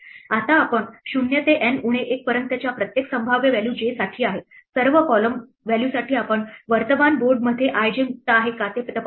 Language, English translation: Marathi, Now, what we do is for every possible value from 0 to N minus 1 that is for j, for all column values we check if i j is free in the current board